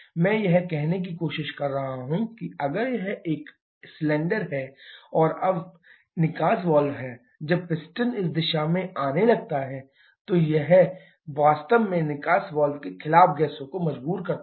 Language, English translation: Hindi, What I am trying to say that, if this is a cylinder and this is exhaust valve now when the piston starts to come up in this direction it is actually forcing the gases against exhaust valve